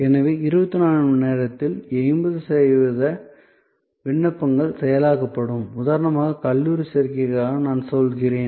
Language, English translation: Tamil, So, 80 percent of all applications in 24 hours will be processed and I mean for a college admission for example